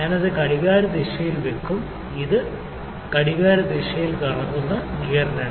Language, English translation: Malayalam, I will put it anti clockwise, gear 2 which is rotating in clockwise direction this